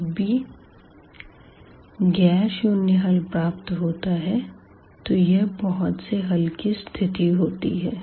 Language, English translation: Hindi, Whenever we are getting a nonzero solution and that will be the case of infinitely many solutions